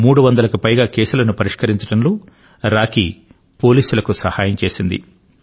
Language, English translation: Telugu, Rocky had helped the police in solving over 300 cases